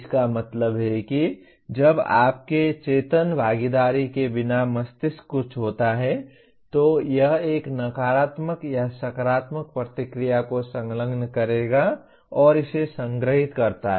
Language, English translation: Hindi, That means when something happens the brain without your conscious participation will attach a negative or a positive reaction to that and it stores that